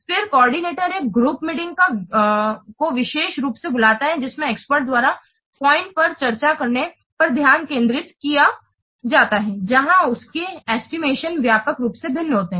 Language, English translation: Hindi, Then the coordinator calls a group meeting, especially focusing on having the experts, discuss points where their estimates varied widely